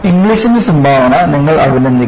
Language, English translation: Malayalam, The contribution of Inglis, you have to appreciate